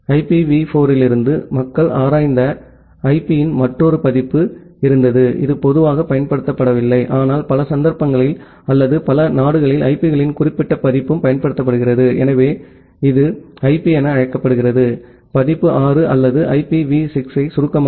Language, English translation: Tamil, And from IPv4, there was another version of IP which people have explored, which is not generally used, but in many of the cases or in many of the countries that particular version of IPs are also being used, so that is being called as IP version 6 or IPv6 in short